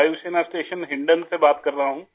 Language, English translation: Hindi, Speaking from Air Force station Hindon